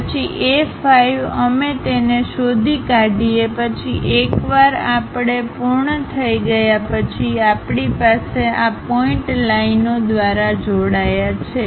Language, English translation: Gujarati, Then A 5 we will locate it once we are done we have these points joined by lines